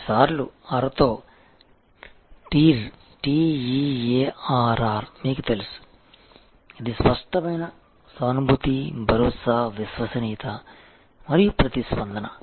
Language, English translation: Telugu, You know TEAR with double R, this is a tangible, empathy, assurance, reliability and responsiveness